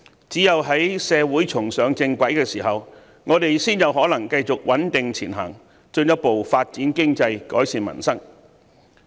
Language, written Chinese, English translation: Cantonese, 只有在社會重上正軌的時候，我們才有可能繼續穩定前行，進一步發展經濟，改善民生。, Only when the community is back on the right track can we progress steadily and further develop our economy to improve peoples livelihood